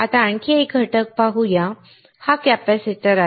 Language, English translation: Marathi, Now, let us see another component, this is a capacitor